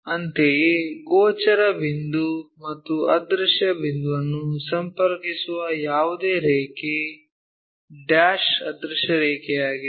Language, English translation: Kannada, Similarly, any line connecting a visible point and an invisible point is a dash invisible line